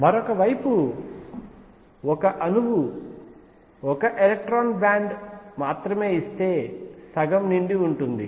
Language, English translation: Telugu, On the other hand if an atom gives only one electron band will be half filled